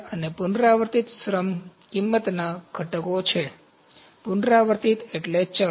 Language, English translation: Gujarati, So, these are the components of the recurring labour cost, recurring means variable